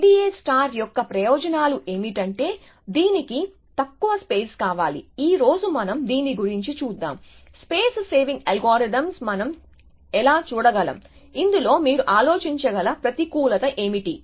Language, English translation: Telugu, So, the advantages of I D A star is that it needs less space and this is the theme that we are going to follow today, how can we look at space saving algorithms, but what is a disadvantage that you can think of